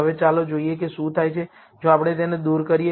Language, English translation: Gujarati, Now, let us see what happens, if we remove this